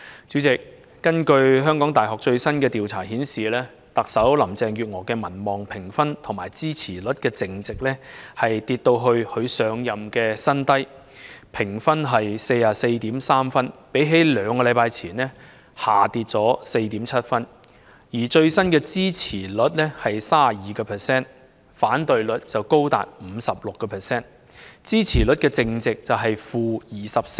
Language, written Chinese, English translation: Cantonese, 主席，根據香港大學最新的調查顯示，特首林鄭月娥的民望評分與支持率淨值下跌至她上任以來的新低的 44.3 分，相較兩星期前下跌 4.7 分，而最新的支持率為 32%， 反對率則高達 56%， 支持率淨值為 -24%。, Chairman as shown in the results of the latest polls conducted by the University of Hong Kong the popularity rating and net approval rate of the Chief Executive Carrie LAM have hit a new record low of 44.3 points since she took office a drop of 4.7 points from that of two weeks ago where the latest support rating is 32 % and the disapproval rating is as high as 56 % representing a net approval rate of - 24 %